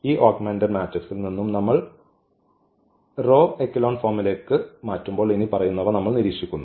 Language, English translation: Malayalam, And from this augmented matrix when we reduce to this rho echelon form we observe the following